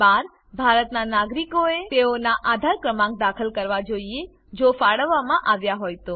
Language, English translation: Gujarati, Item 12 Citizens of India, must enter their AADHAAR number, if allotted